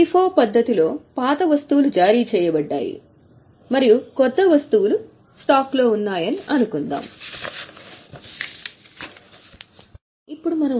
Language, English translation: Telugu, In FIFO method, we had assumed that the older items are issued out and the newer item is in stock